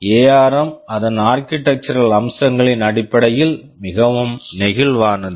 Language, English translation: Tamil, ARM is quite flexible in terms of its architectural features